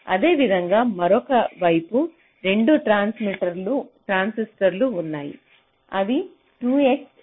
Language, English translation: Telugu, similarly, on the other side there are two transistors which are of course two x